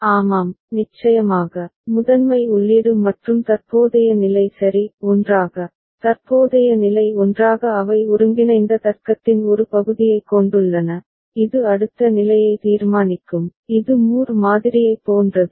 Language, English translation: Tamil, Yes, in this of course, the primary input and the current state ok – together, the current state together they have a part of the combinatorial logic ok, which will be deciding the next state this is similar to Moore model